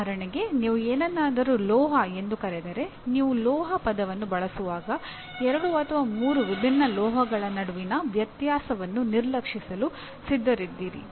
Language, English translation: Kannada, When I use the word metal, I am willing to ignore differences between two or three different metals